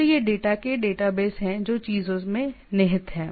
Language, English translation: Hindi, So, these are the data base of the data which are contained in the things